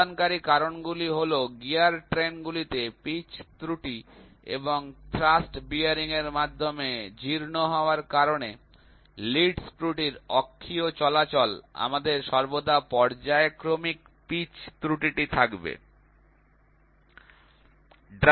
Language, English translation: Bengali, The contributing factors are pitch error in the gear trains and or axial movement of the lead screw due to the worn out through the thrust bearings, we always will have periodic pitch error